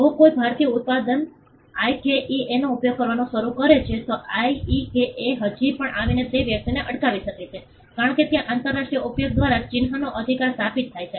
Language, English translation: Gujarati, If someone an Indian manufacturer starts using IKEA, IKEA could still come and stop that person, because there a right to the mark is established by use international use